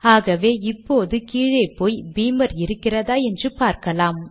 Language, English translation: Tamil, So lets just go down and see whether Beamer is available